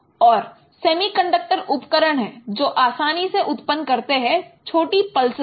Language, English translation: Hindi, And there are semiconductor devices which easily generate the short pulses